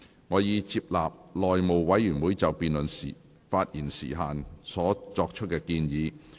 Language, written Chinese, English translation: Cantonese, 我已接納內務委員會就辯論發言時限作出的建議。, I have accepted the recommendations of the House Committee on the time limits for speeches in the debate